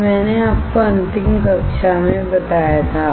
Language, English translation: Hindi, This what I had told you in the last class